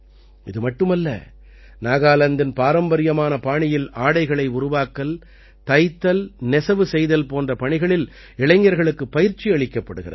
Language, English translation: Tamil, Not only this, the youth are also trained in the traditional Nagaland style of apparel making, tailoring and weaving